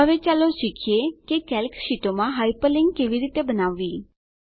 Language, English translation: Gujarati, Now, lets learn how to create Hyperlinks in Calc sheets